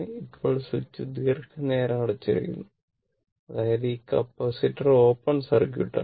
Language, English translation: Malayalam, Now, switch is closed for long time; that mean this capacitor is open circuited, right